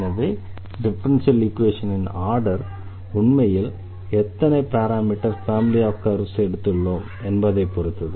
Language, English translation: Tamil, So, the order of the differential equation will be dependent actually how many parameter family we have taken